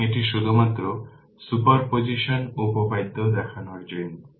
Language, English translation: Bengali, So, it is just to show you the super position theorem